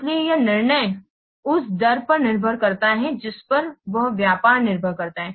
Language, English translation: Hindi, So the decision depends on the rate at which its business it expands